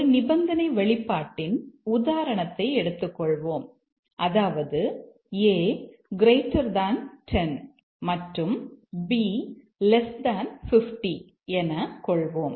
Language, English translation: Tamil, Let's take an example, conditional expression if A is equal to 10 and B is less than 50